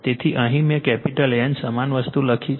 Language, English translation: Gujarati, So, here I have written capital N same thing same thing